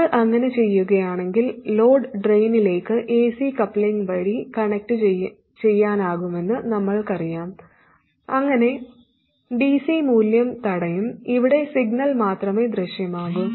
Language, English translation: Malayalam, If we do, we know that we can connect the load to the drain by AC coupling so that the DC value is blocked and only the signal appears here